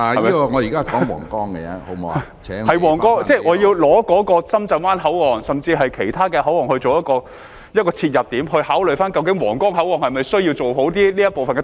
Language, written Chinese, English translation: Cantonese, 議案是關乎皇崗口岸，但我要以深圳灣口岸甚至其他口岸作切入點，考慮究竟皇崗口岸是否需要做好通車這部分。, The motion is about the Huanggang Port but I would like to use the Shenzhen Bay Port or even other ports as the entry point to consider whether it is necessary to fully facilitate vehicular passage at the Huanggang Port